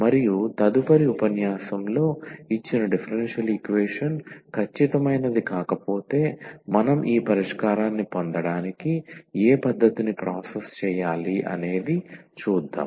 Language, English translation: Telugu, And in the next lecture we will continue if the given differential equation it not exact then what method we should process to get this solution